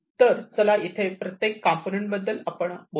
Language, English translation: Marathi, So, let us look at each of these components over here